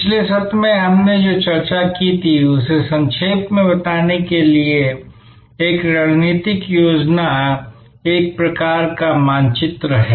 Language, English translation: Hindi, To summarize what we discussed in the previous session, a strategic plan is a sort of a map